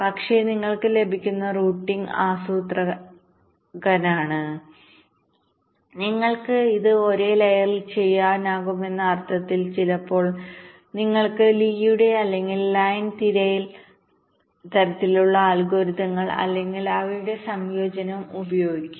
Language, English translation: Malayalam, so the routing that you get is planner in the sense that you can do it on the same layer and sometimes to get the path you can use either lees or line search kind of algorithms or a combination of them